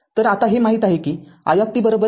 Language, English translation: Marathi, So, put i is equal to c into dv by dt here